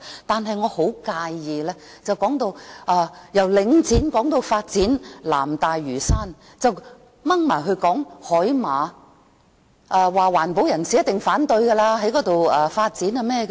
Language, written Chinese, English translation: Cantonese, 但是，我很介意的是，議員由領展說到發展南大嶼山時，扯到海馬身上，又說環保人士一定反對在那裏發展。, Yet it bothers me that when the Member talked about Link REIT then onto the development of South Lantau he trawled in the seahorses adding that environmentalists would definitely oppose any development there